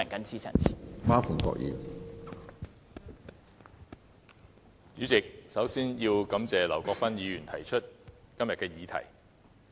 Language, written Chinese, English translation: Cantonese, 主席，首先要感謝劉國勳議員提出今天的議案。, President first of all I would like to thank Mr LAU Kwok - fan for proposing his motion today